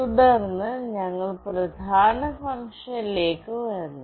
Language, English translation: Malayalam, Then we come to the main function